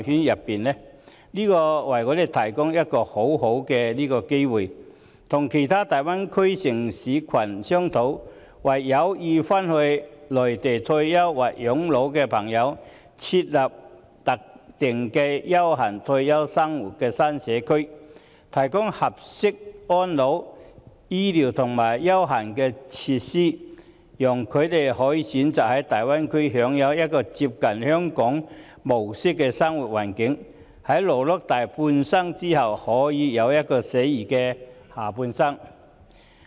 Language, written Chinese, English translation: Cantonese, 這正好為我們提供機會與大灣區其他城市群商討，為有意返回內地退休或養老的人士設立特定的優閒退休生活新社區，提供合適的安老、醫療和優閒設施，讓他們可以選擇在大灣區享有一個接近香港模式的生活環境，在勞碌大半生後過一個寫意的下半生。, This offers a good opportunity for us to discuss with other cities in the Greater Bay Area the provision of suitable elderly care health care and leisure facilities so that elderly persons may choose to move to the Greater Bay Area which provides a living environment similar to the Hong Kong style and lead a carefree life in retirement after they have toiled for the better part of their lives